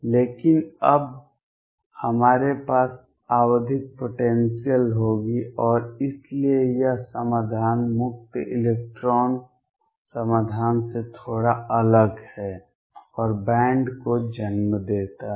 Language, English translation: Hindi, But now we will have periodic potentials there, and therefore that solution differs slightly from the free electron solutions and gives rise to bands